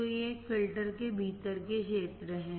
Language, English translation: Hindi, So, these are the regions within a filter